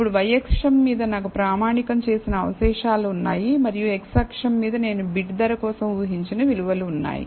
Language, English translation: Telugu, Now, on the y axis, I have standardized residuals and on the x axis, I have predicted values for bid price